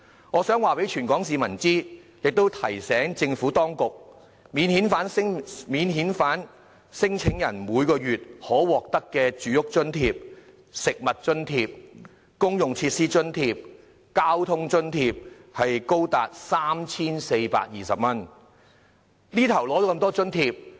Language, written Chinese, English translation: Cantonese, 我想告訴全香港市民，亦提醒政府當局，免遣返聲請人每月可獲得的住屋津貼、食物津貼、公用設施津貼、交通津貼，是高達 3,420 元。, I want to tell all people in Hong Kong and also to remind the Administration that a non - refoulement claimant can receive as much as 3,420 per month from his living food public facility and traffic allowances